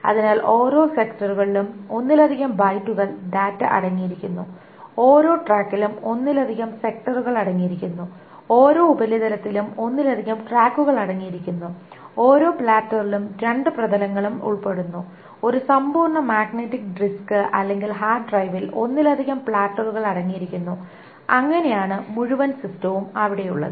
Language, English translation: Malayalam, So, each sector contains multiple bytes of data, each track contains multiple sectors, each surface contains multiple tracks, each platter contains two surfaces, and a complete magnetic disk or a hard drive contains multiple platters